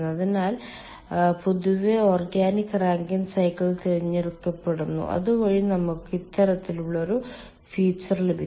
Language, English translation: Malayalam, so ah, generally organic rankine cycles are ah selected so that we get this kind of a feature